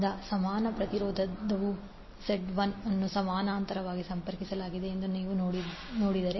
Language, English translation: Kannada, So if you see that the equivalent impedance is Z1 connected in parallel